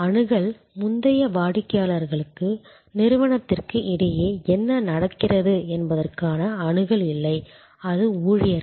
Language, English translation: Tamil, Access, earlier customers didn’t have access to what was going on between the organization and it is employees